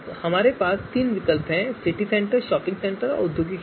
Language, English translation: Hindi, We have three alternatives, City Centre, shopping centre and industrial area